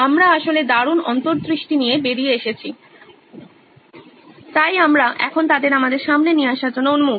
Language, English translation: Bengali, We’ve actually come out with great insights in fact, so we are looking forward to bring them on to the table now